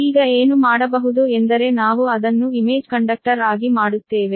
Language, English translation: Kannada, right now, what, what one can do is that we will make it a image conductor